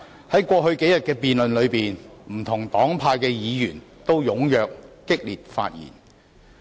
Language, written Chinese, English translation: Cantonese, 在過去數天的辯論中，不同黨派的議員均踴躍及激烈發言。, During the debate over the past few days Members from different political parties and groupings have spoken enthusiastically and fiercely